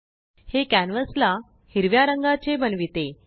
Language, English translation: Marathi, This makes the canvas green in color